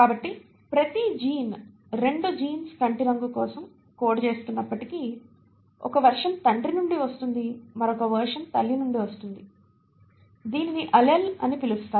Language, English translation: Telugu, So each gene, though both of the genes are coding for the eye colour; one version is coming from the father and the other version is coming from the mother which is what you call as an allele